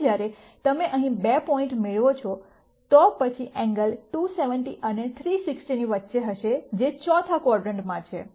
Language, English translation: Gujarati, Now when you get two points here then the angles are going to be between 270 and 360 which is in the fourth quadrant